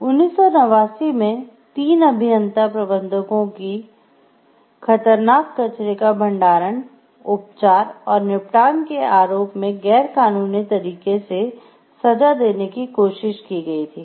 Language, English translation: Hindi, In 1989 the 3 engineer managers were tried and convicted of illegally storing, treating and disposing of hazardous wastes